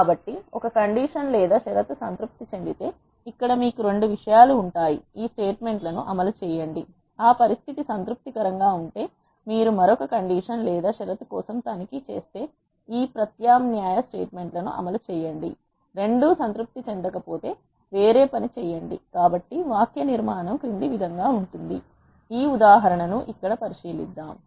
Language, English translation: Telugu, So, here you will have 2 things if a condition is satisfied execute this statement; else if you check for another condition if that condition is satisfied execute this alternate statements, if both of them are not satisfied then do something else so the syntax is as follows; to illustrate this if let us consider this example here